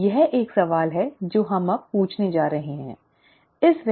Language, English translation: Hindi, That is a question that we are going to ask now, okay